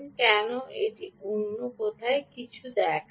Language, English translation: Bengali, why does it show something else here